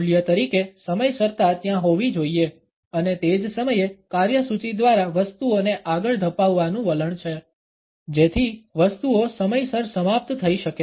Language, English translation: Gujarati, Punctuality as a value has to be there and at the same time there is a tendency to push things through the agenda so, that things can end on time